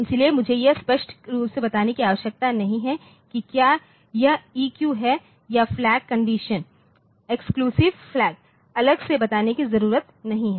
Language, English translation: Hindi, So, I need not tell it explicitly whether it is EQ or the flag conditions the conditional execution flags need not be exi told separately